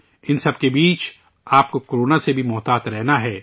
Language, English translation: Urdu, In the midst of all this, you also have to be alert of Corona